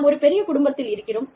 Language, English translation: Tamil, We are one big family